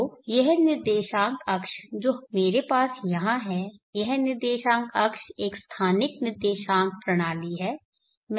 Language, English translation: Hindi, which will be so this coordinate axis which I have here, this coordinate axis is a spatial coordinate system